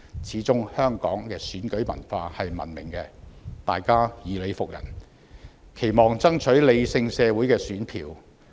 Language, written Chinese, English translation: Cantonese, 始終香港的選舉文化是文明的，大家講求以理服人，期望爭取理性社會的選票。, After all the election culture of Hong Kong is civilized in which various parties try to convince each other by reason and canvass for votes in a rational society